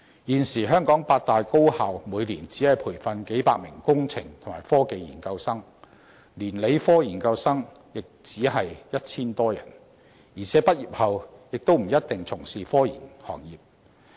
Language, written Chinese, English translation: Cantonese, 現時，香港八大高校每年只培訓數百名工程和科技研究生，連理科研究生亦只有 1,000 多人，而且他們在畢業後也不一定從事科研行業。, At present the eight higher education institutions in Hong Kong are only able to give training to just a few hundreds of graduate students in engineering and technology a year or about a thousand - plus graduate students if those in science are included . And it is all possible for these students not to join scientific research - related professions after graduation